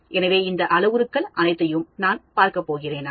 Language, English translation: Tamil, So, am I going to look at all these parameters